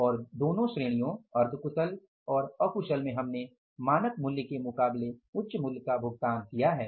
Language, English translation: Hindi, And in both the categories that is semi skilled and unskilled we have paid the higher price as against the standard price